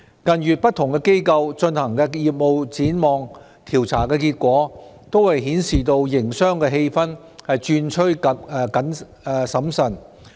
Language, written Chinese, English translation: Cantonese, 近月不同機構進行的業務展望調查結果均顯示營商氣氛轉趨審慎。, The findings of business tendency surveys conducted by different organizations in recent months indicate that the business atmosphere has turned cautious